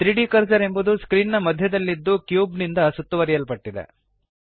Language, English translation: Kannada, The 3D cursor is right at the centre of the screen surrounded by the cube